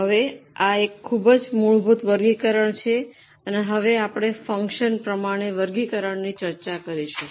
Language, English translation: Gujarati, Now, this is a very basic classification from where we have evolved and we go for a further classification as for the function